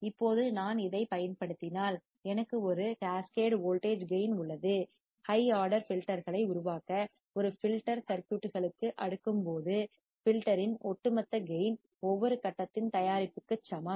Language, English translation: Tamil, Now, if I use this is an example, I have a cascaded voltage gain, when cascading to a filter circuits to form high order filters, the overall gain of the filter is equal to product of each stage